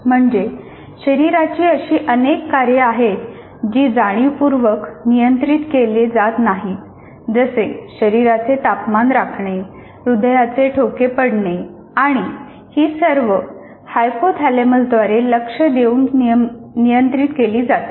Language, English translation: Marathi, That means there are several body functions which are not consciously controlled like maintaining the body temperature, functioning of heartbeat, whatever you call it, heartbeats and all that are monitored and controlled by hypothalamus